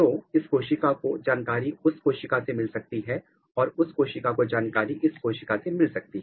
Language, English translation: Hindi, So, this cell might get information from this cell and this cell might get information from this cell